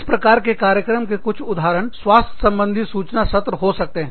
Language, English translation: Hindi, So, some examples of such programs are, you could have health information sessions